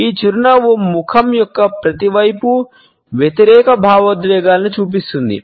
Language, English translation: Telugu, This smile shows opposite emotions on each side of a face